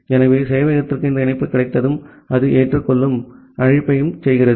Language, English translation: Tamil, So, once the server gets this connection, it makes a accept call